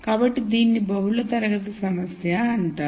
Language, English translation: Telugu, So, this is what is called a multi class problem